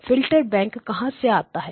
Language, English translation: Hindi, Where is my filter bank